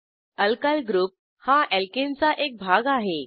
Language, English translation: Marathi, Alkyl group is a fragment of Alkane